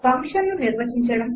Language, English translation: Telugu, What will the function do